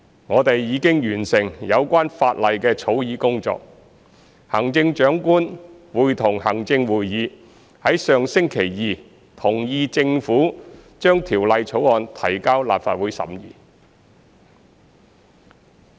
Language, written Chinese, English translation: Cantonese, 我們已完成有關法例的草擬工作，行政長官會同行政會議於上星期二同意政府將《條例草案》提交立法會審議。, We have completed the drafting of the relevant legislation and the Chief Executive in Council agreed last Tuesday that the Government would introduce the Bill into the Legislative Council for scrutiny